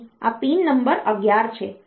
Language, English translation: Gujarati, So, this is pin number 11